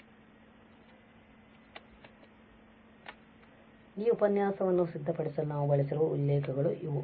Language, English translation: Kannada, So, these are the references we have use for preparing this lecture